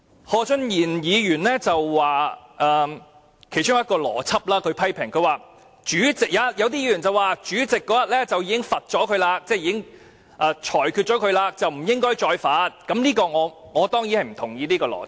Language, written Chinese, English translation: Cantonese, 何俊賢議員發言批評的其中一項邏輯，是有議員表示主席那天已對鄭松泰議員作出懲罰或裁決，不應再罰，他不認同這種邏輯。, In Mr Steven HOs speech he criticized among others the logic put forward by some Members that since the President already imposed a punishment or ruling on Dr CHENG Chung - tai that day no more punishment should be inflicted . He did not agree to such logic